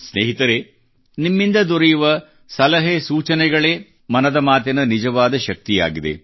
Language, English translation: Kannada, Friends, suggestions received from you are the real strength of 'Mann Ki Baat'